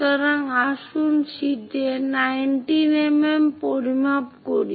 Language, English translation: Bengali, So, let us measure 19 mm on the sheet